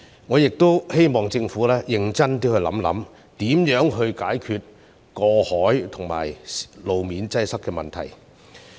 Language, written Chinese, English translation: Cantonese, 我希望政府認真考慮如何解決過海和路面擠塞的問題。, I hope that the Government will consider seriously how to solve the problems of congestion at harbour crossings and on the roads